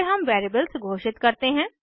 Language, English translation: Hindi, Then we declare the variables